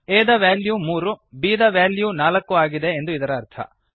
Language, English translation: Kannada, This means as value is 3 and bsvalue is 4